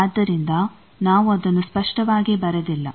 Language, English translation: Kannada, So, we are not written it explicitly